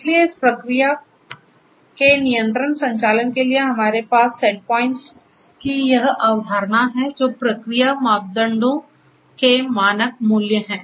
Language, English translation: Hindi, So, controlled operation of the process for that we have this concept of the state set points, which are the standard values of the process parameters